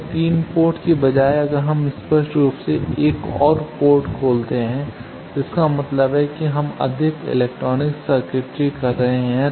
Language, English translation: Hindi, So, instead of 3 port if we open up another port obviously; that means, we are having more electronics circuitry